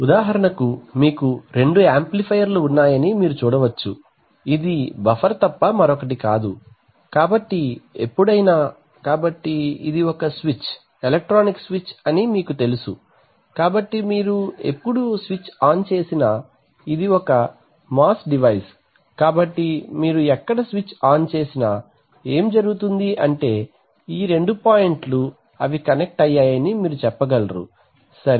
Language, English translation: Telugu, So for example, so you can see that you have two amplifiers, this is nothing but a buffer okay, so this is nothing but a buffer, so whenever, so this is a switch you know this is an electronic switch, so whenever you turn the switch on this is a MOS, so wherever you turn the switch on, what happens is that these two points you can say that is they are connected, okay